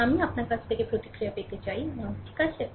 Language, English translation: Bengali, But I want to get feedback from you ah, right